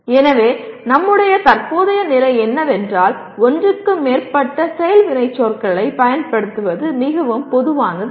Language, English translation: Tamil, So our current position is the need for using more than one action verb is not that very common